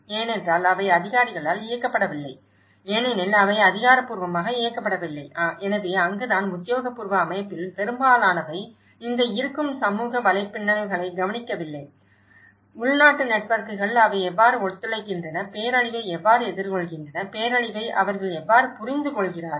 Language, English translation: Tamil, Because they are not directed by the authorities because they are not officially directed, so that is where, most of the official set up overlooks this existing community networks; the indigenous networks, how they cooperate, how they face the disaster, how they understand the disaster